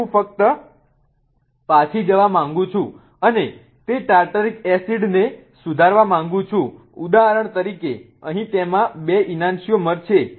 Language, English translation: Gujarati, Now I just want to go back and revise that Tataric acid for example here does have two enchantumers